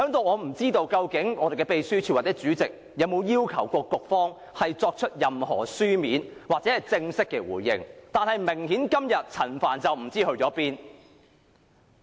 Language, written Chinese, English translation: Cantonese, 我不知道究竟立法會秘書處或主席，有否要求局長作書面或正式回應，但明顯地，陳帆今天不知所終。, I do not know whether the Legislative Council Secretariat or the President of the Legislative Council has asked the Secretary to give a written or formal response